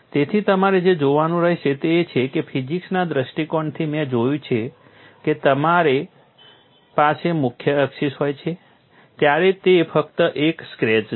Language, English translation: Gujarati, So, what we will have to look at is, from physics point of view, I have looked at when you are having the major axis it is only a scratch